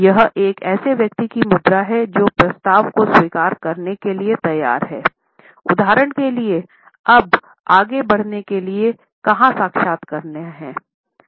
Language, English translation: Hindi, This is the posture of a person who is willing to accept the proposal for example, where do I signed now to move on further